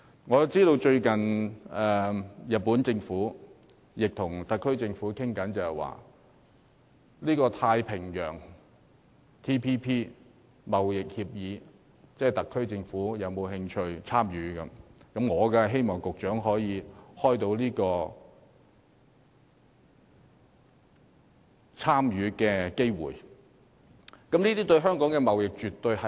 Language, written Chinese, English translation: Cantonese, 我知道最近日本政府正與特區政府商討，詢問我們是否有興趣加入《跨太平洋夥伴關係協定》，我當然希望局長能開拓參與有關協作的機會。, I know that the Japanese Government is holding discussions with the SAR Government in an attempt to ascertain whether we are interested to join the Trans - Pacific Partnership TPP . I naturally hope that the Secretary can look for opportunities to join such partnerships